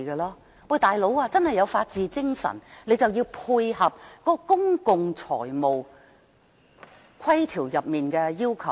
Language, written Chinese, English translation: Cantonese, "老兄"，若真的有法治精神，就要配合《公共財政條例》的要求。, Buddy if it does observe the spirit of the rule of law it should comply with the requirements of the Public Finance Ordinance